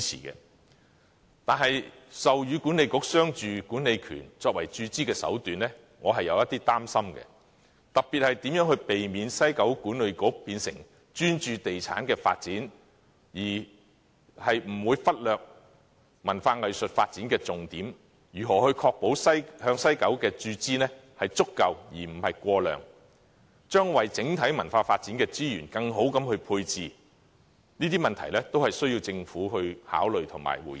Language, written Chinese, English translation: Cantonese, 然而，授予西九管理局商住管理權作為注資的手段，我是有一點擔心的，特別是如何避免西九管理局變成專注地產發展，忽略文化藝術發展的重點，以及如何確保向西九文化區的注資是足夠而不是過量，如何為整體文化發展的資源作更好的配置，這些問題都需要政府考慮及回應。, However I have a small concern about granting the commercial and residential development rights to WKCD Authority as a form of capital injection and specifically on how to avoid drawing WKCD Authoritys attention away from its culture and arts focus to property development how to ensure an adequate but not excessive level of injection into WKCD and how to better allocate the overall resources for cultural development . These are all questions needing the deliberation and response from the Government